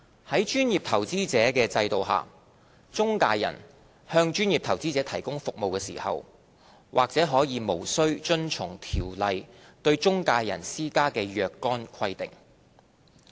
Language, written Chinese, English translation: Cantonese, 在專業投資者制度下，中介人向專業投資者提供服務時，或可無須遵從《條例》對中介人施加的若干規定。, Under the professional investor regime certain requirements of SFO imposed on intermediaries may be disapplied when intermediaries are serving professional investors